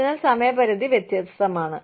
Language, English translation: Malayalam, So, the deadlines are different